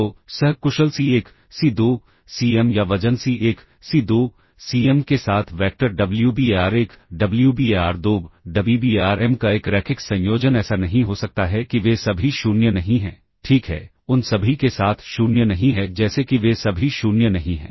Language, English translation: Hindi, So, there cannot be a linear combination of vectors Wbar1, Wbar2, Wbarm with co efficient C1, C2, Cm or weight C1, C2, Cm such that not all of them are 0, all right, not with all them not 0 such that not all of them are 0